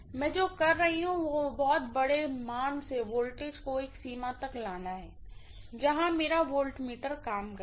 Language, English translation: Hindi, What I am doing is to bring down the voltage from a very very large value to a range where my voltmeter will work